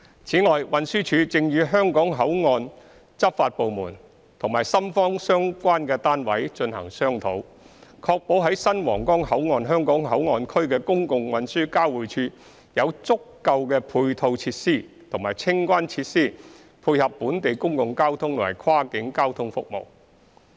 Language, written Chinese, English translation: Cantonese, 此外，運輸署正與香港口岸執法部門和深方相關單位進行商討，確保在新皇崗口岸香港口岸區的公共運輸交匯處有足夠的配套設施和清關設施配合本地公共交通和跨境交通服務。, Moreover the Transport Department is discussing with the law enforcement agencies of the Hong Kong boundary control point and the relevant Shenzhen authorities with a view to ensuring that the public transport interchange at the Hong Kong Port Area of the Huanggang Port has adequate ancillary facilities and customs clearance facilities to accommodate local and cross - boundary transport services